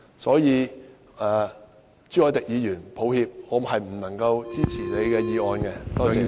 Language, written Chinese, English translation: Cantonese, 所以，朱凱廸議員，抱歉，我不能夠支持你的議案。, Therefore Mr CHU Hoi - dick sorry I cannot support your motion